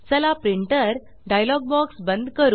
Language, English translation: Marathi, Lets close the Printer dialog box